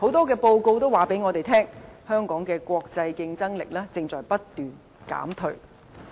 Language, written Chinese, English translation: Cantonese, 根據多項報告顯示，香港的國際競爭力正不斷減退。, According to various reports Hong Kongs global competitiveness has been deteriorating